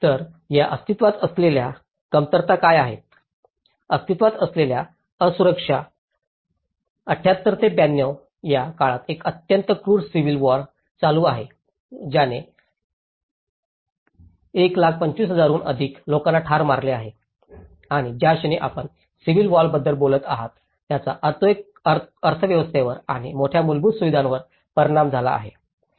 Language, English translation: Marathi, So, what are these existing shortages, existing vulnerabilities, from 78 to 92 there is a very cruel civil war which has killed more than 125,000 people and the moment you are talking about a civil war it have impact on the economy and the major infrastructures